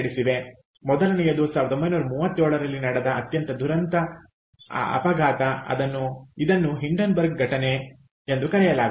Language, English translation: Kannada, the first one is some is called its a very tragic accident called hindenburg incident in nineteen, thirty seven